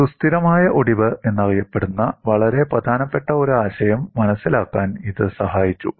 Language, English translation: Malayalam, This has helped in understanding a very important concept that you could have what is known as stable fracture